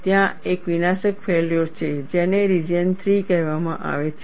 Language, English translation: Gujarati, There is a catastrophic failure, which is called region 3